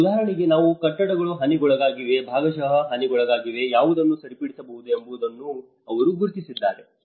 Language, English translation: Kannada, And for instance, they have also identified which of the buildings have been damaged, which are partially damaged, which could be repaired